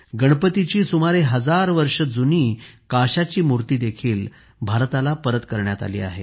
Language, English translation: Marathi, Nearly a thousand year old bronze statue of Lord Ganesha has also been returned to India